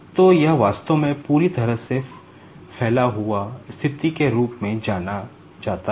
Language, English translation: Hindi, So, this is actually is known as the fully stretched condition